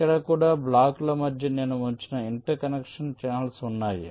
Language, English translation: Telugu, so here also there are interconnection channels which i have placed in between the blocks